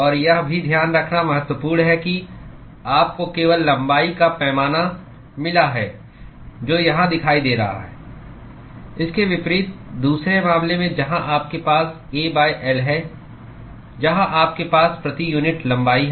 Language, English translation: Hindi, And also it is important to note that you got only the length scale which is appearing here, unlike, in the other case where you have A by l, where you have per unit length right